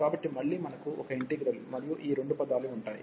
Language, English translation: Telugu, So, again we will have one integral, and these two terms